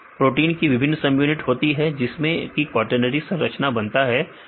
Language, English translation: Hindi, Protein has different subunits they form these quaternary structure right